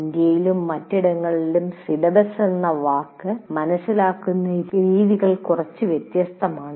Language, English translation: Malayalam, The way syllabus that word is understood in India and elsewhere are somewhat different